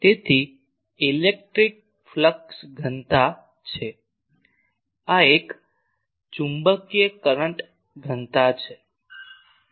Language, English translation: Gujarati, So, this is the electric flux density this is a magnetic flux density